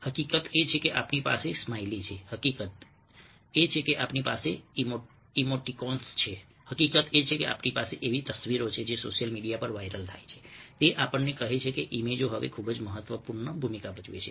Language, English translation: Gujarati, the fact that we have smileys, the fact we have emoticons, the fact that we have images which go viral on social media, tells that images now play a very significant role